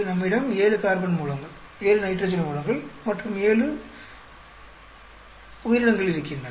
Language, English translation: Tamil, , we have 7 carbon sources, 7 nitrogen sources and seven nitrogen organisms